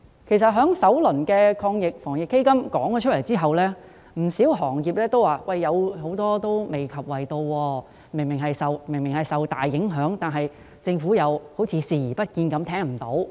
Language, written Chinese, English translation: Cantonese, 在政府公布首輪防疫抗疫基金的詳情後，不少行業均表示未能受惠，明顯大受影響的行業，政府卻好像視而不見，聽而不聞。, After the Government announced the details of the first round of the Anti - epidemic Fund many industries indicated that they could not be benefited . Industries that were hard hit have been ignored and left out